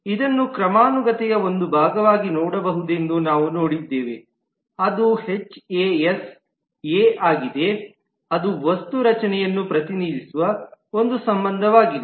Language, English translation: Kannada, We have also seen that it can be looked at as a part of hierarchy, which is the HAS A relationship, which represent the object structure